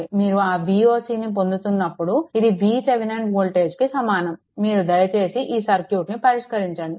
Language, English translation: Telugu, When you are obtaining that V o c, you please that V Thevenin voltage, you please solve this circuit you please solve this circuit right